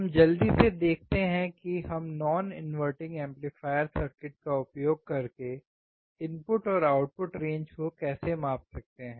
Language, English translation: Hindi, Let us quickly see how we can measure the input and output range using the non inverting amplifier circuit